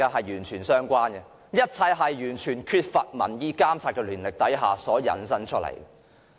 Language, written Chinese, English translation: Cantonese, 一切都是源於完全缺乏民意監察的權力而來。, All problems actually stem from a kind of authority that is not subject to any monitoring by public opinions